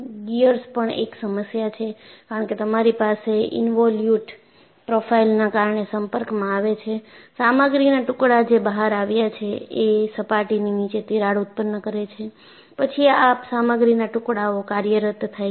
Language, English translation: Gujarati, This is one of the issues in gears also, because you have involute profile, that they come in contact, you know flakes of material that come out; because cracks generate below the surface and then flakes of material come out in operation